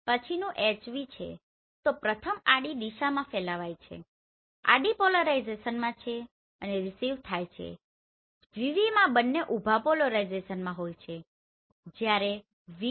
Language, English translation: Gujarati, In the next one you have HV so first one is transmitted is in horizontal direction, horizontal polarization and received is vertical polarization in VV both are vertical in VH the transmitted is in vertical whereas received in horizontal